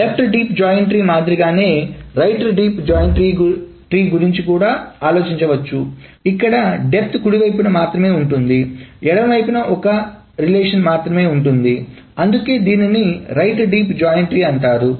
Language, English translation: Telugu, And similar to a left deep joint tree, a right deep joint tree can also be thought about where the depth is only on the right side, the left side is only a single relation